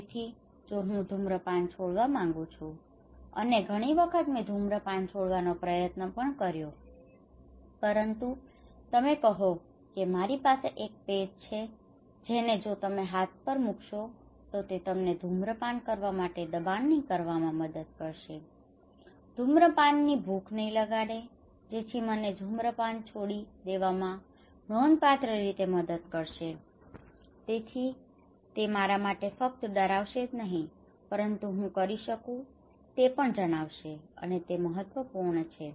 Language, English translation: Gujarati, So, what if I want to quit smoking and trying to quit smoking, but I felt several times, but you said okay I have one patch if you put on your arm it would help you not to have the thrust for smoking okay not the appetite for smoking so that would significantly help me to quit smoking not only my fear for something would help me but if you let me know what I can do is also important